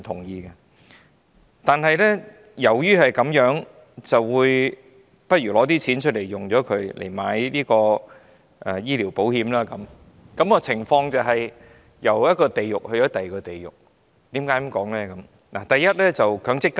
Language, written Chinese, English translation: Cantonese, 然而，基於這個原因而提取部分強積金購買醫療保險，情況猶如由一個地獄走進另一個地獄，我為何這樣說呢？, However if we for this reason withdraw part of our MPF contributions to purchase medical insurance the situation would resemble one in which we walk from one hell to another . Why would I say this?